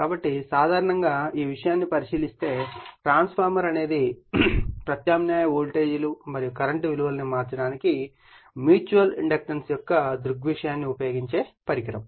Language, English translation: Telugu, So, generally if you look at the this thing a transformer is a device which uses the phenomenon of mutual induction to change the values of alternating voltages and current right